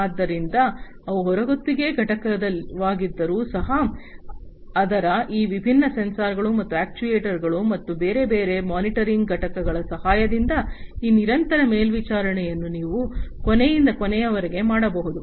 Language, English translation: Kannada, So, even if they are outsource component, but you know with the help of these different sensors and actuators, and different other monitoring units, you could be end to end this continuous monitoring could be performed